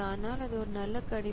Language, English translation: Tamil, So, but it's a good prediction